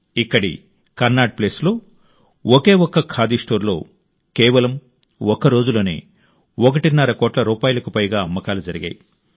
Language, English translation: Telugu, Here at Connaught Place, at a single Khadi store, in a single day, people purchased goods worth over a crore and a half rupees